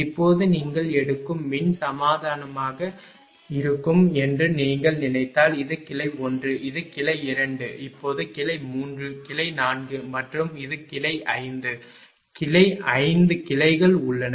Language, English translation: Tamil, Now, if you think that will be the electrical equivalent you take this is branch 1 this is say branch 2 now branch 3, branch 4 and this is branch 5 right there are 5 branches